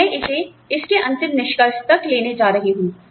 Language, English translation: Hindi, And, I am going to take it, to its final conclusion